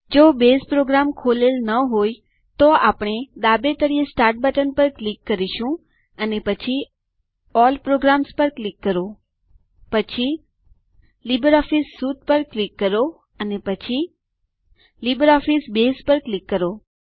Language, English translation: Gujarati, If Base program is not opened, then we will click on the Start button at the bottom left,and then click on All programs, then click on LibreOffice Suite and then click on LibreOffice Base